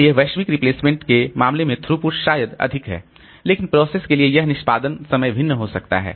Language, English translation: Hindi, So, throughput may be higher in case of global replacement but this execution time for the processes may vary